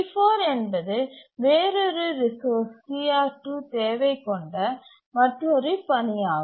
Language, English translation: Tamil, And let's say T4 is another task which is needing a different resource CR2